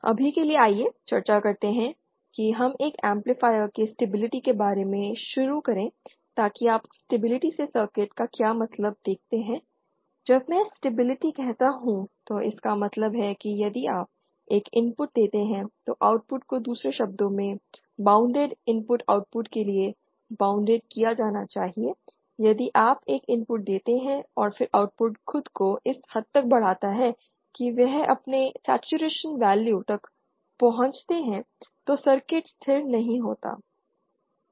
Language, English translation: Hindi, For now let us discuss let us start about the stability aspect of an amplifier so what do you mean by stability a circuit see when I say stability it means that if you give an input the output should be bound in other words for bounded input output should be bound if you give an input and then the output amplifies itself to such an extent that it reaches its saturation value then the circuit is not stable